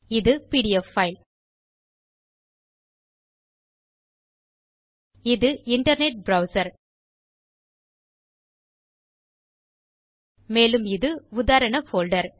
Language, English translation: Tamil, This is the PDF file, this is the internet browser this is the Sample folder